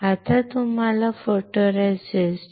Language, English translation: Marathi, Now, you have to understand what is photoresist